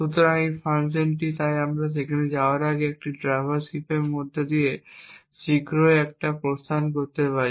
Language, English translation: Bengali, So, this function so before we go there, we can just put an exit here soon after traverse heap just to ensure that we get another partial output